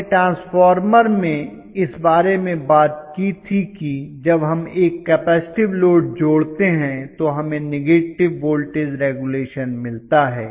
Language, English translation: Hindi, Again we talked about this in transformer when we connect a capacitive load we had negative voltage regulation right